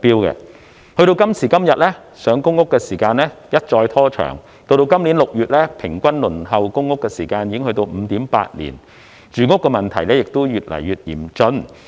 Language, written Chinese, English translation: Cantonese, 時至今天，上公屋的時間一再拖長，截至今年6月，平均輪候公屋的時間已經達到 5.8 年，住屋問題也越來越嚴峻。, Today the waiting time for PRH has been further lengthened . As at June this year the average waiting time for PRH has reached 5.8 years . The housing problem has also become increasingly serious